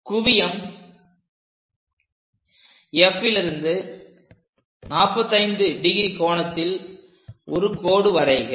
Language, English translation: Tamil, Now, through F, draw a line at 45 degrees